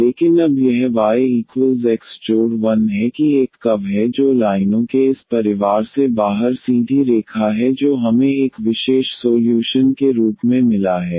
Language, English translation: Hindi, But now this y is equal to this x plus 1 that is a one curve the one that is straight line out of this family of lines we got this as a particular solution